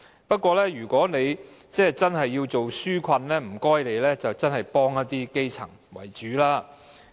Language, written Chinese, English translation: Cantonese, 不過，如果政府真的要推行紓困措施，請政府以幫助基層為主。, Having said that if the Government is genuinely committed to implementing relief measures I urge the Government to primarily target at helping the grassroots